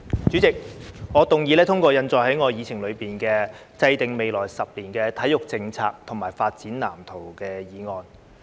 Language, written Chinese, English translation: Cantonese, 主席，我動議通過印載於議程內的"制訂未來十年體育政策及發展藍圖"議案。, President I move that the motion on Formulating sports policy and development blueprint over the coming decade as printed on the agenda be passed